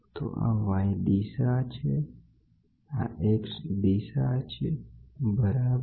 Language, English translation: Gujarati, So, this is y direction, this is x direction, ok